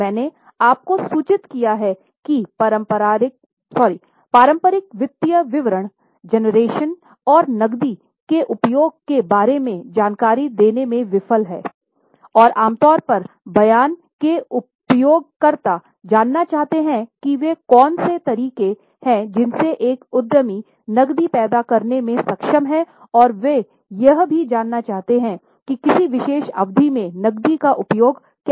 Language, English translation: Hindi, I have just informed you that the traditional financial statements they fail to give information about generation and utilization of cash and users of the statement usually want to know what are the ways an enterprise is able to generate the cash and they also want to know how that cash is utilized in a particular period